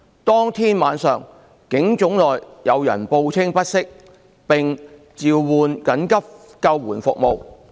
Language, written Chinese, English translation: Cantonese, 當天晚上，警總內有人報稱不適，並召喚緊急救護服務。, At night of that day some persons inside PHQ reported feeling unwell and called emergency ambulance service